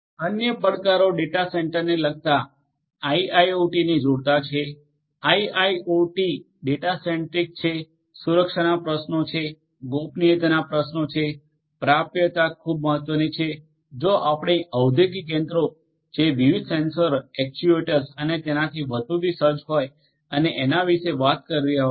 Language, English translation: Gujarati, Other challenges are with respect to the data centre connecting to the IIoT, IIoT is data centric, security issues are there, privacy issues are there, availability is very important if we are talking about industrial machinery fitted with different different sensors, actuators, and so on